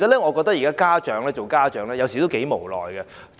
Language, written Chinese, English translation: Cantonese, 我認為現在做家長頗為無奈。, Parents nowadays are quite helpless in my view